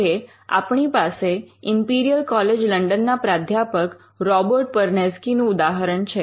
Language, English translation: Gujarati, Now, we have the example of Robert Perneczky, the professor in Imperial College London